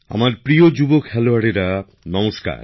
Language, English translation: Bengali, My dear family members, Namaskar